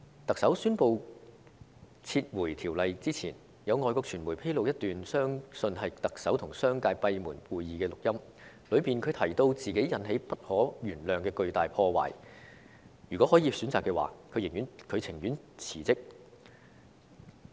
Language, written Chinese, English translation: Cantonese, 特首宣布撤回《條例草案》之前，有外國傳媒在9月初披露一段相信是特首與商界舉行閉門會議時的錄音，當中她提到自己造成不可原諒的巨大破壞，如果可以選擇的話，她寧願辭職。, Before the Chief Executive announced the withdrawal of the Bill foreign media revealed in early September a recording believed to be the content of a closed - door meeting between the Chief Executive and the business community in which she said she had caused huge havoc to Hong Kong and it was unforgivable and that she would quit if she had a choice